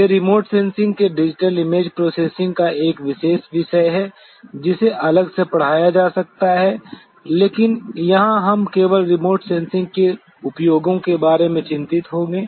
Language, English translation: Hindi, They are a specialized topic of digital image processing of remote sensing which could be taught separately, but here we will only be concerned about the application to remote sensing